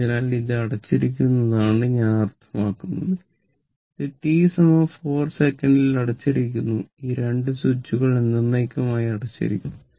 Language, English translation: Malayalam, So, I mean this is also closed this is also closed at t is equal to 4 second this is closed the these 2 switches are closed forever right